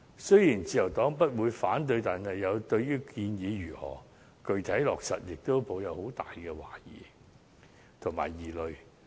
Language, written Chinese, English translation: Cantonese, 雖然自由黨不會反對建議，但對於建議如何具體落實，也抱有很大的懷疑和疑慮。, While no objection will be raised to the suggestion the Liberal Party does have a lot of doubts and queries regarding its actual implementation